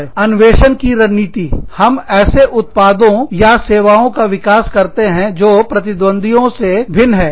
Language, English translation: Hindi, Innovation strategy, used to develop, products or services, different from those of, competitors